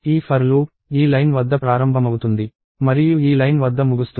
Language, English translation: Telugu, So, this for loop starts at this line and ends at this line